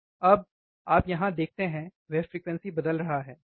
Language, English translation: Hindi, Now, you see here, he is changing the frequency, right